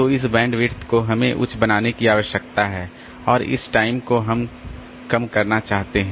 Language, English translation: Hindi, So, this bandwidth we need to make it high and this time we want to reduce